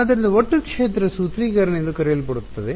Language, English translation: Kannada, So, what is called the Total field formulation